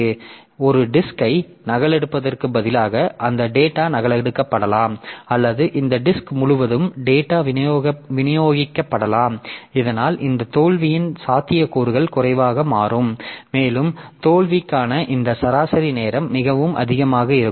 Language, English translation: Tamil, So, we have got, instead of copying, keeping one disk, so we keep multiple disk so that data may be duplicated or data may be distributed across this disk so that the possibility of this error will become less, the possibility of failure will become less and this mean time to failure will be pretty high